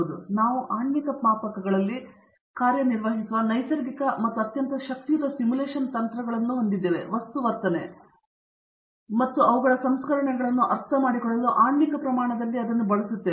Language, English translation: Kannada, So it is natural that we work on molecular scales and very powerful simulation techniques are being used at the molecular scale to understand material behavior and their processing